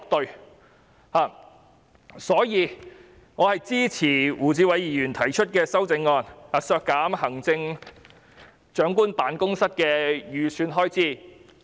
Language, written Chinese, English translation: Cantonese, 因此，我支持胡志偉議員提出的修正案，削減行政長官辦公室的全年預算開支。, Hence I support Mr WU Chi - wais amendment to reduce the annual estimated expenditure for the Chief Executives Office